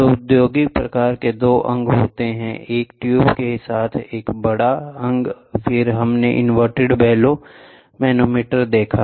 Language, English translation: Hindi, So, the industrial type we saw with two limbs then one large limb with one tube inside, then inverted bellow manometer we saw